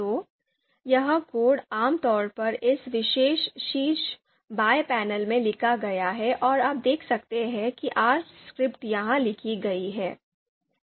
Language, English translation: Hindi, So that code is written typically written in you know in this particular panel top left panel and you can see R script is written here